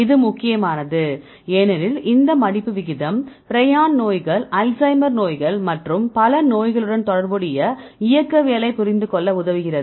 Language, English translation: Tamil, Why it is important because this folding rate helps to understand the kinetics which is related with several pathologies like the prion diseases, Alzheimer diseases and so on